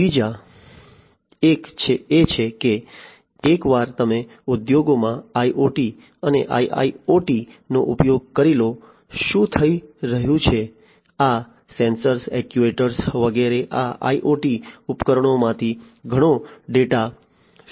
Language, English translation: Gujarati, The other one is that once you have used IoT and IIoT, etcetera in the industries; what is happening is these sensors actuators, etcetera from these IoT devices are going to throw in lot of data